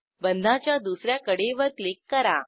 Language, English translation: Marathi, Click on one edge of the bond